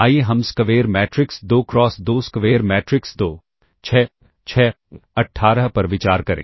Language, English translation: Hindi, Let us consider the square matrix 2 cross 2 square matrix 2 6 6 18